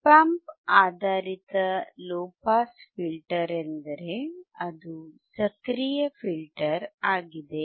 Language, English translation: Kannada, Op Amp based low pass filter means it is an active filter